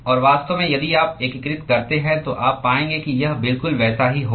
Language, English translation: Hindi, And in fact, if you integrate you will find that it will be exactly the same